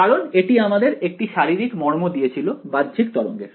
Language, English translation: Bengali, Because it gave us a certain physical meaning of outgoing waves so that is what we had